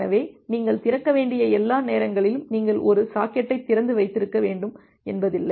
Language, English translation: Tamil, So, it is not like that the all the time you have to open you have to keep one socket open